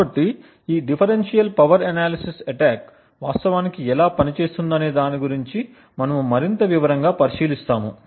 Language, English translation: Telugu, So, we will look at more in details about how this differential power analysis attack actually works